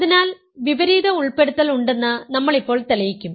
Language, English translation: Malayalam, So, now we will prove that the opposite inclusion holds